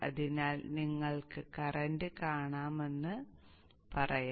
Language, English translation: Malayalam, So let's say you want to see the current